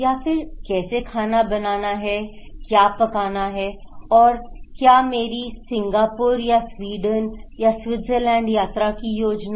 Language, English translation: Hindi, How I would look good, is it about that one or is it about how to cook, what to cook and or my travel plan to Singapore or to Sweden or Switzerland